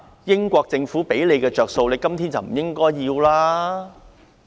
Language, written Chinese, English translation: Cantonese, 英國政府給他們的好處，他們今天不應該留戀。, Now they should not attach to the advantages given by the British Government